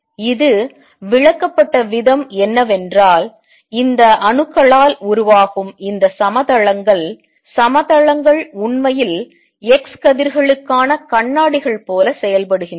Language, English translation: Tamil, The way it was explained was that these planes, planes form by these atoms actually act like mirrors for x rays